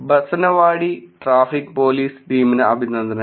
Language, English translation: Malayalam, Kudos to the Banasawadi Traffic Police Team